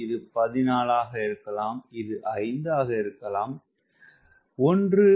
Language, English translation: Tamil, this may be fourteen, this may be five